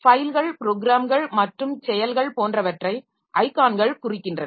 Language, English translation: Tamil, So, icons represent files, programs and actions, etc